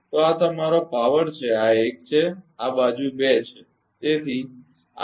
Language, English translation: Gujarati, So, this is your power this is 1 and this side is 2